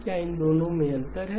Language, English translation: Hindi, Is there a difference in these two